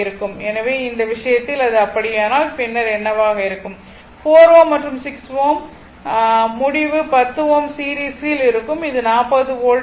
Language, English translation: Tamil, So, i infinity will be this is 4 ohm and 6 ohm result 10 ohm are in series and this is a 40 volt